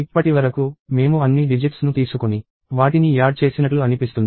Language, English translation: Telugu, So far, we seem to have taken all the digits and added them up